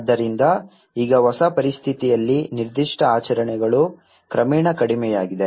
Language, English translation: Kannada, So, now in the new situation, not particular celebrations have gradually diminished